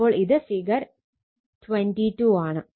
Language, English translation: Malayalam, So, this is figure 22 right